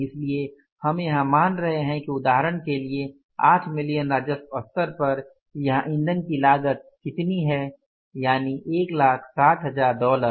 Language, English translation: Hindi, So, we are assuming here that for example 8 million level of the revenue your fuel cost is how much that is $160,000